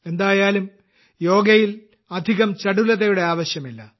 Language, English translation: Malayalam, There is no need for many frills in yoga anyway